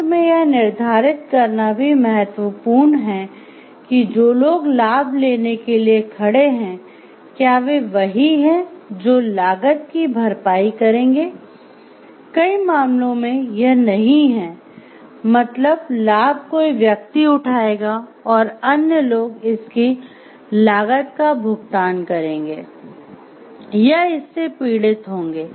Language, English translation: Hindi, Finally, it is also important to determine whether those who stand to reap the benefits are also those who will pay the costs, in many cases it is not so, somebody will reap the benefits and other people pay the costs for it or suffer for it